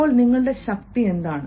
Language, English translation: Malayalam, now, what are your strengths